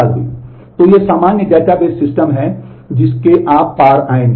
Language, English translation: Hindi, So, these are the common database systems that you will come across